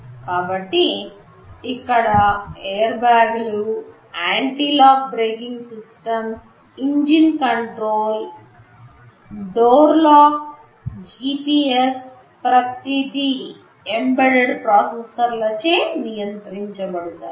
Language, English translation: Telugu, So, airbags, anti lock braking systems, engine control, door lock, GPS, everything here these are controlled by embedded processors